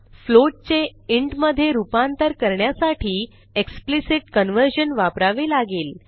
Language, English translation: Marathi, To convert a float to an int we have to use explicit conversion